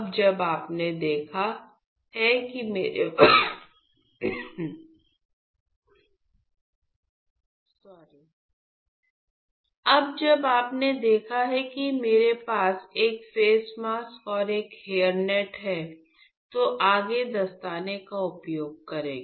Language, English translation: Hindi, So, now that you seen I have a face mask and a hair net, what I would do next is use the gloves